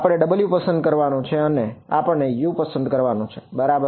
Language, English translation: Gujarati, We have to choose w’s and we have to choose u’s correct